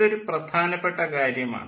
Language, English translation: Malayalam, so this is a very important concept